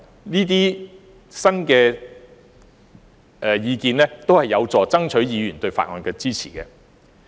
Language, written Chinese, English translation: Cantonese, 這些新意見均有助爭取議員對《條例草案》的支持。, These new ideas are conducive to gaining Members support for the Bill